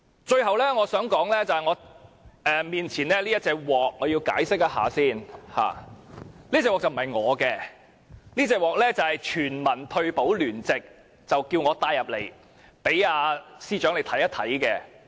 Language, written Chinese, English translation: Cantonese, 最後，我要解釋一下，面前這隻鍋不是我的，而是爭取全民退休保障聯席叫我帶進來，讓司長看一看。, Finally I would like to explain that the wok in front of me is not mine; the Alliance for Universal Pension asked me to bring it into the Chamber to show the Financial Secretary